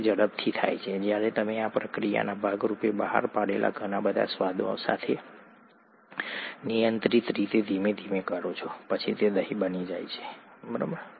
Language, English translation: Gujarati, That happens quickly when you do that slowly in a controlled fashion with a lot of other flavours that get released as a part of this process then it becomes curd, that’s it